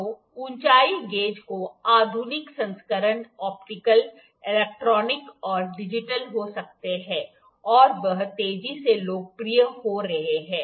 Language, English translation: Hindi, So, modern variance of height gauges are may be optical, electronic, digital and are becoming they are becoming increasing popular